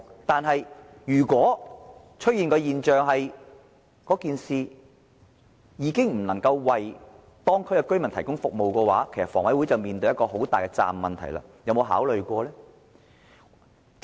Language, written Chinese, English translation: Cantonese, 但是，如果出現的現象是，領展的做法已經不能夠為當區居民提供服務，房委會便須面對一個很大的責任問題，它有沒有考慮過呢？, However if what happens is that Link REITs approach can no longer provide services for the local residents HA will have to face a great responsibility . Has it ever considered that?